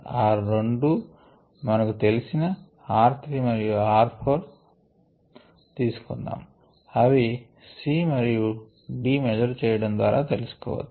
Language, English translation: Telugu, let us say that those two are r three and r four, which are known, which can be known from c and d measurements